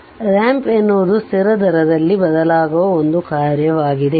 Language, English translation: Kannada, So, a ramp is a function that changes at a constant rate right